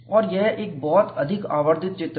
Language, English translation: Hindi, And this is a very highly magnified picture